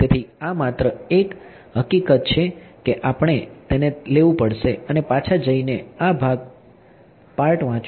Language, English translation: Gujarati, So, this is just a fact that we will have to take it and go back and read this part